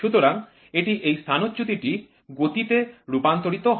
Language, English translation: Bengali, So, this is this displacement is converted into this motion